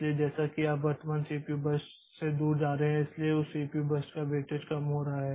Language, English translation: Hindi, So, as you are going away from the current CPU burst, so the weightage of this weightage of that CPU burst is decreasing